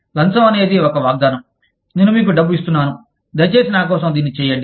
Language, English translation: Telugu, A bribe is a promise, that i am giving you this money, please do this for me, in return